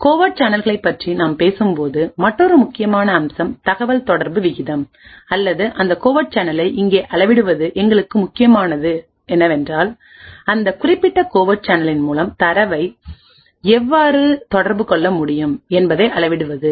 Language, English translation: Tamil, Another important aspect when we talk about coming about covert channels is the communication rate or to quantify that covert channel here what is important for us is to measure the rate at which data can be communicated through that particular covert channel